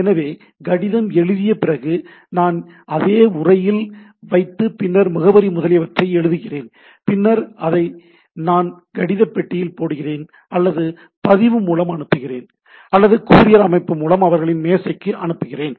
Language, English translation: Tamil, And then, I push it to envelop then write the address etcetera and then I put it in somewhere, either I put it to that letter box or I register or put through a courier system to their desk etcetera